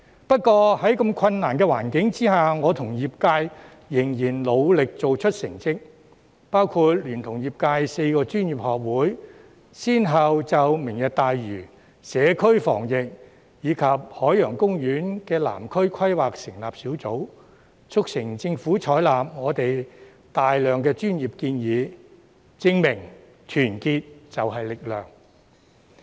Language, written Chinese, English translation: Cantonese, 不過，在如此困難的環境下，我跟業界仍然努力做出成績，包括我聯同業界4個專業學會，先後就"明日大嶼"、社區防疫，以及海洋公園及南區規劃成立小組，促成政府採納我們大量專業建議，證明團結就是力量。, Notwithstanding these difficult circumstances my sectors and I still managed to make some achievements with our efforts including the successive formation of the working groups on Lantau Tomorrow community pandemic prevention and the development of the Southern District and Ocean Park by me and the four professional institutes in the sector . This has prompted the Government to adopt many of our professional suggestions proving that there is power in unity